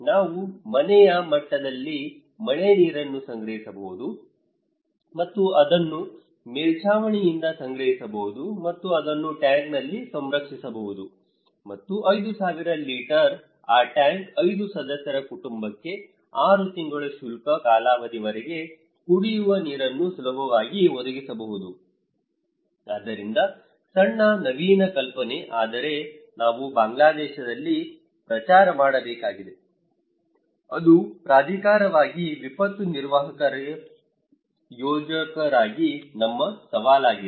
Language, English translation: Kannada, We can collect the rainwater at the domestic level at the household level and that from the rooftop and that and preserve it in a tank and that tank of 5000 litre can easily provide a family of 5 members drinking water for 6 months dry season okay, so small innovative idea but that we need to promote in Bangladesh that is our challenge as a planner as a disaster manager as the authority